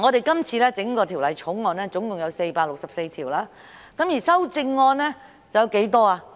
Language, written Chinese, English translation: Cantonese, 今次《條例草案》共有464項條文，而修正案有多少呢？, There are a total of 464 clauses in the Bill and how many amendments are there?